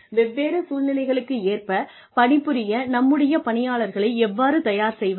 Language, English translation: Tamil, How do we ready our employees for different situations